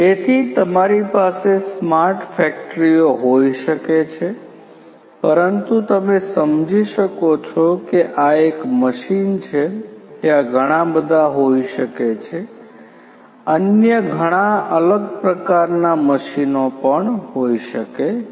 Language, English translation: Gujarati, So, you can have smart factories, but as you can understand that this is one machine like this there could be several, several other different types of machines